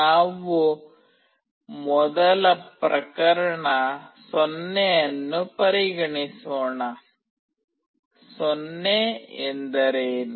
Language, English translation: Kannada, Let us first consider case 0, what is 0